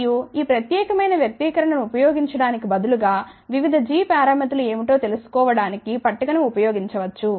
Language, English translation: Telugu, And instead of using this particular expression one can use the table to find out what are the different g parameters